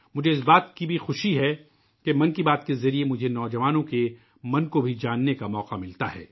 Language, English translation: Urdu, I am happy also about the opportunity that I get through 'Mann Ki Baat' to know of the minds of the youth